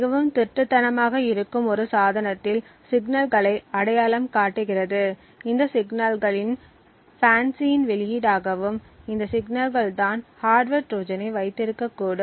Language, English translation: Tamil, FANCI identifies signals in a device which are highly stealthy, so these signals are provided as the output of FANCI and it is these signals which should potentially hold a hardware Trojan